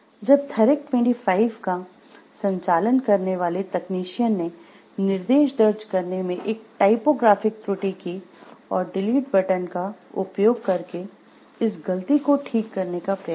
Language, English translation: Hindi, When the technician operating the Therac 25 made a typographical error in entering instructions and tried to correct this mistake by using the delete key